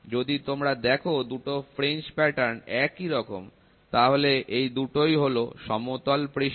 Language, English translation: Bengali, If you see both the fringe patterns are the same, then these two are flat surfaces